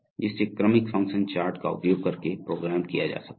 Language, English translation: Hindi, Which can be programmed using a sequential function chart